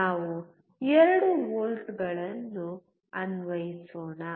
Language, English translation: Kannada, Let us apply 2 volts